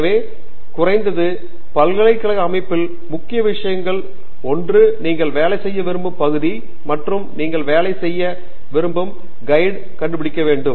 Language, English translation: Tamil, So at least in the university setting, one of the key things is you have to find the area that you would like to work on and the guide that you would like to work with